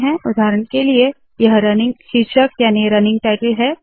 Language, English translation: Hindi, For example, this is the running title